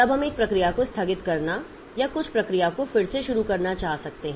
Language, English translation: Hindi, Then we may want to suspend a process or resume some process